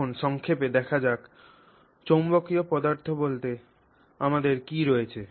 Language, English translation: Bengali, Okay, so now let's see briefly what we have in terms of magnetic materials